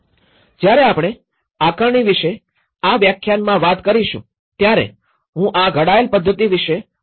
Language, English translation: Gujarati, When we talk about this lecture on the assessment, I am going to describe about the methodology it has been framed